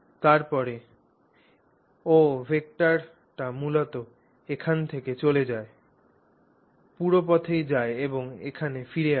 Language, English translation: Bengali, Then the OA vector, the OA vector basically goes from here, goes all the way around and comes back here